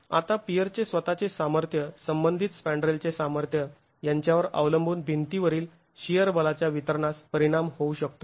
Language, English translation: Marathi, Now depending on the strength of the spandrel, in relation to the strength of the peer itself, the distribution of shear forces in the wall can be affected